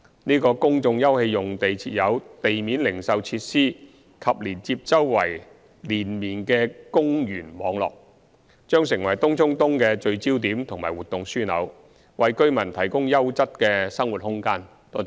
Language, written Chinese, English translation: Cantonese, 這個公眾休憩用地設有地面零售設施及連接周邊連綿的公園網絡，將成為東涌東的聚焦點及活動樞紐，為居民提供優質的生活空間。, This public open space which will have retail facilities and connection with the network of linear parks will be a focal point and activity node of TCE providing quality living space to the residents